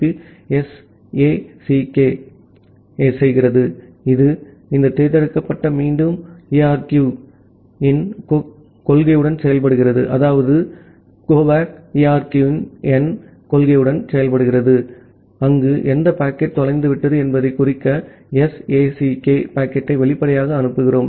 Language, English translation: Tamil, Whereas, the TCP SACK the selective acknowledgement variant of TCP, it works with the principle of this selective repeat ARQ, where explicitly we send the SACK packet to indicate that which packet has been lost